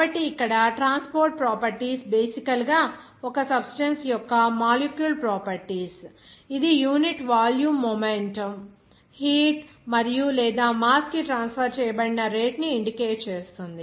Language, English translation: Telugu, So, here transport properties actually basically it is a molecule of properties of a substance that indicates the rate at which the specific that is per unit volume momentum, heat and/or mass are transferred